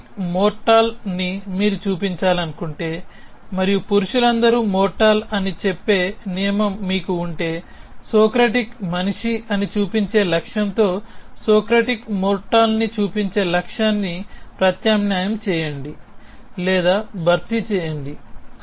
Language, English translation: Telugu, It says that if you want to show that Socratic is mortal and if you have a rule which says all men are mortal, then substitute or replace the goal of showing that Socratic is mortal with the goal of showing that Socratic is a man